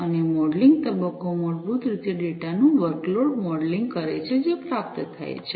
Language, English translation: Gujarati, And the modelling phase basically does this workload modelling of the data, that are received